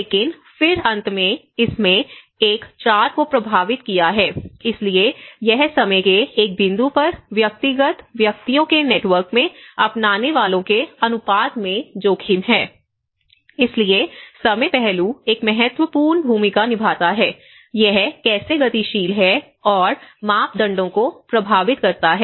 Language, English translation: Hindi, But then finally, it has influenced one , so it is the exposure in the proportion of adopters in an individual persons network at a point of time so, the time aspect plays an important role, how it is dynamic and how it is influencing parameters